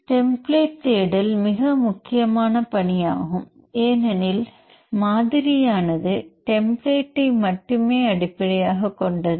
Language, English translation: Tamil, The template search is a very important task because the modeller will build based on template only